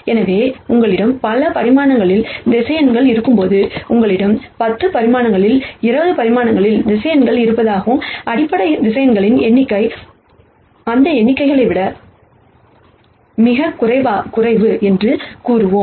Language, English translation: Tamil, So, when you have vectors in multiple dimensions, let us say you have vectors in 10 di mensions 20 dimensions and the number of basis vectors, are much lower than those numbers